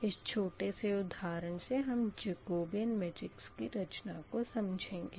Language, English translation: Hindi, this way, this way, the jacobian matrix will forms